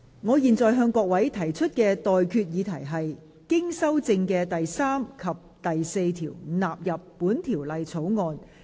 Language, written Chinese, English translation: Cantonese, 我現在向各位提出的待決議題是：經修正的第3及4條納入本條例草案。, I now put the question to you and that is That clauses 3 and 4 as amended stand part of the Bill